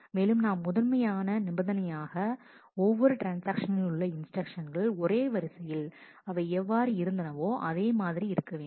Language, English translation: Tamil, And we satisfy the basic constraint that the instructions of every transaction occur in the same order in which they existed